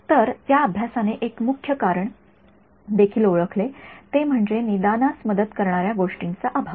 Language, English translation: Marathi, So, that study also identified one of the main reasons was a lack of diagnostic aids